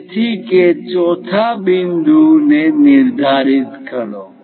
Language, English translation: Gujarati, So, locate that fourth point